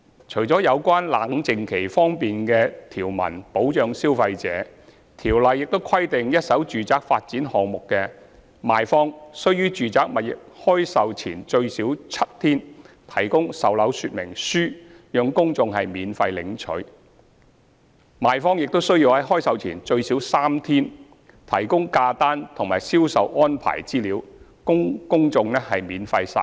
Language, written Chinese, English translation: Cantonese, 除了有關"冷靜期"方面的條文保障消費者，《條例》亦規定一手住宅發展項目的賣方須於住宅物業開售前最少7天，提供售樓說明書讓公眾免費領取；賣方亦須在開售前最少3天，提供價單及銷售安排資料供公眾免費索閱。, In addition to the provisions of cooling - off period for consumer protection it is stipulated under the Ordinance that vendors of first - hand residential developments are required to make sales brochures available for collection by the general public free of charge at least seven days before the date of sale of the first - hand residential properties . Besides vendors are required to make the price lists and information on sale arrangements available for collection by the general public free of charge at least three days before the date of sale